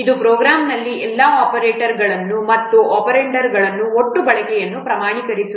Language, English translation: Kannada, It quantifies the total usage of all operators and operands in the program